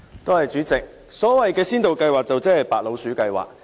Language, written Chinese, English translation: Cantonese, 代理主席，所謂先導計劃就是"白老鼠計劃"。, Deputy President the so - called Pilot Scheme is actually a guinea pig scheme